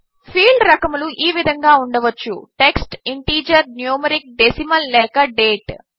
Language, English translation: Telugu, Field types can be text, integer, numeric, decimal or date